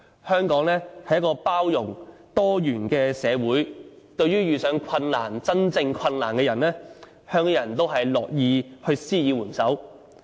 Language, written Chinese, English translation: Cantonese, 香港是一個多元包容的社會，對於遇上困難——真正困難——的人，香港人都樂意施以援手。, Hong Kong is a pluralistic and inclusive society . Hong Kong people are willing to help people who have difficulties―genuine difficulties